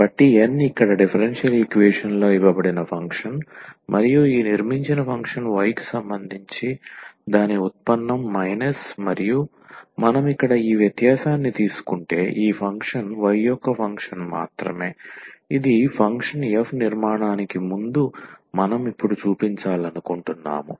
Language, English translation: Telugu, So, N is the given function here in the differential equation and minus this constructed function and its derivative with respect to y, and if we take this difference here this function is a function of y alone this we want to show now before the construction of the function f